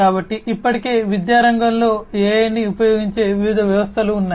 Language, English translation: Telugu, So, already there are different existing systems which use AI in the education sector